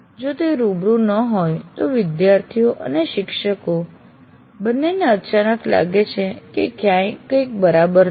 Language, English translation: Gujarati, If it is not face to face, both the students and teachers may feel somehow suddenly out of place